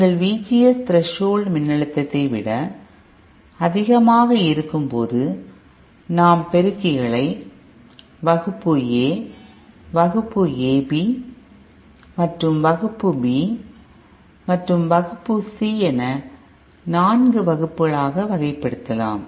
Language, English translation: Tamil, Our VGS is above the threshold voltage, we can Classify our amplifiers into Class A, Class AB and Class B and Class C, so 4 Classes we can achieve